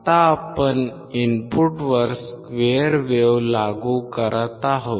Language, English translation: Marathi, Now, we are applying at the input which is square wave